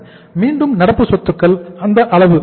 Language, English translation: Tamil, Current assets are how much